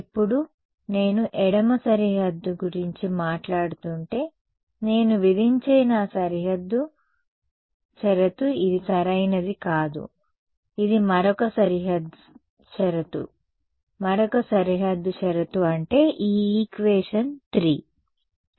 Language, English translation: Telugu, Now, if I were talking about the left boundary, my boundary condition that I impose will not be this one right, it will be other boundary condition, the other boundary condition meaning this guy, equation 3